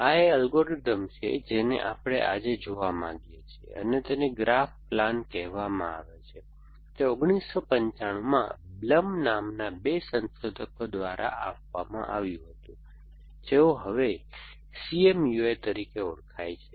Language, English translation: Gujarati, This is algorithm we want to look at today and it is called graph plan, it was given in 1995 by two researchers called Blum who is now as C M U I think in first